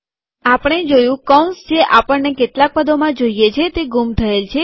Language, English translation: Gujarati, We see that the braces we wanted in some terms are missing